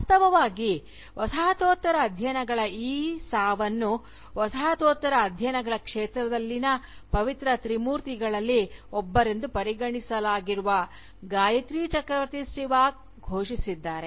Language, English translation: Kannada, Indeed, this death of Postcolonial studies, has been announced by no less a figure than, Gayatri Chakravorty Spivak, who is regarded as one of the Holy Trinity, in the field of Postcolonial Studies